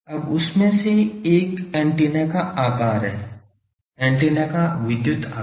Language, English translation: Hindi, Now one of that is the size of the antenna: electrical size of the antenna